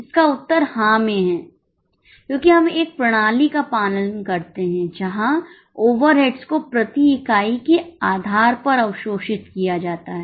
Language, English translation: Hindi, The answer is yes because we follow a system wherein the overheads are absorbed on per unit basis